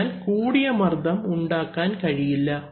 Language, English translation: Malayalam, So, high pressure cannot be created